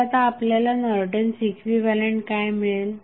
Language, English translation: Marathi, So, what Norton's equivalent you will get